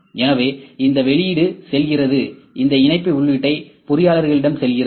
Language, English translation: Tamil, So, this output goes, I will put the mesh input to the engineers